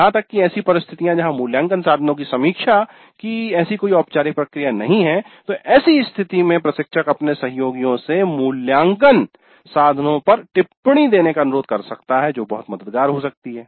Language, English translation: Hindi, Even in situations where there is no such formal process of review of the assessment instruments the instructor can request her colleagues to give comments on the assessment instruments